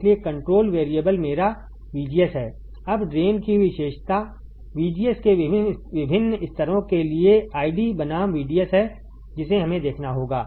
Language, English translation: Hindi, So, control variable is my VGS now drain characteristic is 6 I D versus VDS for various levels of VGS that is we have to see